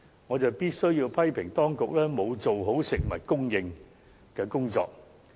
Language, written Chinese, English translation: Cantonese, 我必須批評當局沒有妥善處理食物供應的工作。, I must criticize the authorities for not handling the work on food supply properly